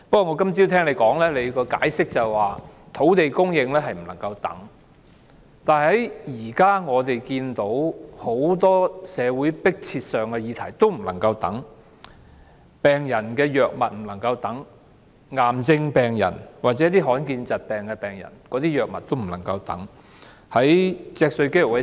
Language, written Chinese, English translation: Cantonese, 我今早聽到你解釋，土地供應不能等待，但現時很多社會迫切議題同樣不能再等待——病人的藥物不能等待，癌症病人或罕見疾病病人的藥物也不能等待。, This morning I heard you explain that land supply could brook no delay but the same is true of many urgent social issues―medications for patients medications for cancer patients and rare disease patients can brook no delay as well